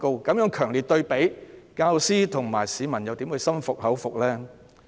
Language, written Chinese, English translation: Cantonese, 在這強烈對比下，教師和市民又怎會感到心服口服呢？, With such a strong contrast how will teachers and members of the public be convinced?